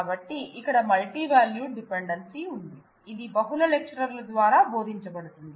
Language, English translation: Telugu, So, there is a multivalued dependency here, it can be taught by multiple lectures